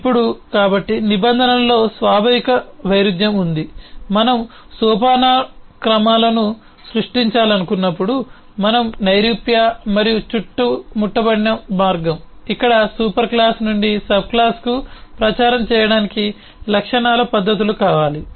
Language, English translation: Telugu, now, so there is an inherent contradiction in terms of the way we have abstract and encapsulated when we want to create hierarchies, where we want properties, methods to propagate from a superclass to the subclass